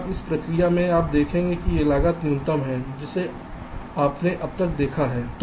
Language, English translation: Hindi, now, in this process we will see that ah, this cost is the minimum one you have seen so far